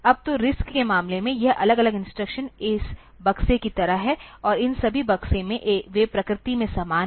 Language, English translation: Hindi, Now so, in case of RISC, this individual instructions are like this boxes, and in all these boxes, they are similar in nature